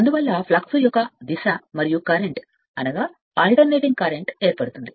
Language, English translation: Telugu, So, that is why this is the one of the flux and this is your what you call current is given anything alternative